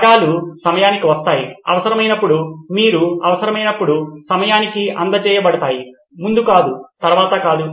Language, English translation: Telugu, The components come on time, just in time and get delivered when it is needed, not before, not after but just in time